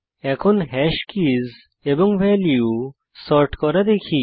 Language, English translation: Bengali, Now, let us see how to get all keys and values of hash